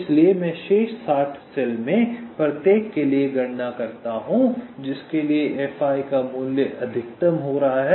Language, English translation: Hindi, so so i calculate for each of the remaining sixty cells for which the value of fi is coming to be maximum